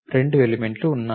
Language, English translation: Telugu, There are 2 elements